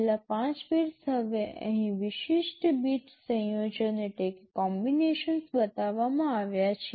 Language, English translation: Gujarati, The last 5 bits, now the specific bit combinations are shown here